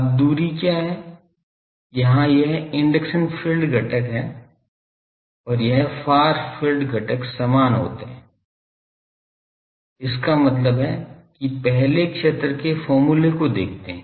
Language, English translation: Hindi, Now, what is the distance, where this induction field component and this far field component they become equal that means, let us look at the a field expression